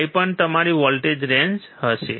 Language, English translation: Gujarati, 5 will be your voltage range